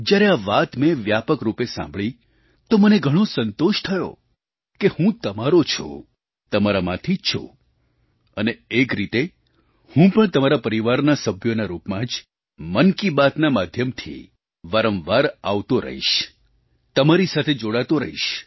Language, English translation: Gujarati, When I heard this comment in a larger circle, I felt satisfied to know that I am yours, I am one amongst you, I am with you, you elevated me and in a way, and in this way I will continue to remain connected with you as a family member through Man Ki Baat